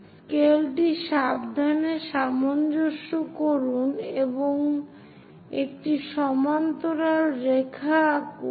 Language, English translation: Bengali, So, adjust the scale carefully and draw a parallel line